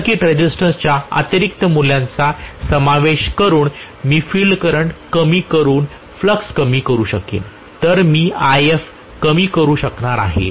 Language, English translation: Marathi, So I will be able to reduce the flux by reducing the field current, by including additional value of field circuit resistance